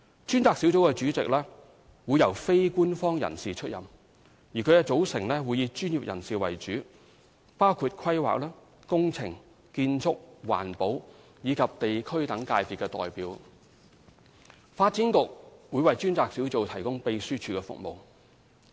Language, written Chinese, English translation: Cantonese, 專責小組主席會由非官方人士出任，其組成會以專業人士為主，包括規劃、工程、建築、環保及地區等界別代表，發展局將為專責小組提供秘書處服務。, The task force will be chaired by a non - official with members coming mainly from the professions including planning engineering architectural and environmental disciplines as well as stakeholders at district level . The Development Bureau will provide secretariat support to the task force